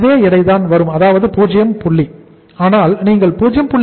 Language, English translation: Tamil, This is the same weight that is 0 point uh you can say 0